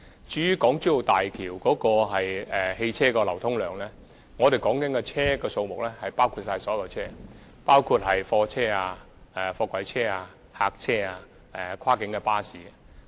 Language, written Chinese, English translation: Cantonese, 至於大橋的車輛流量，我們所說的汽車數目已涵蓋所有車輛，包括貨車、貨櫃車、客貨車、跨境巴士。, As regards the vehicular flow of HZMB the number of vehicles we mentioned covers all types of vehicles including goods vehicles container trucks van - type light goods vehicles and cross - boundary coaches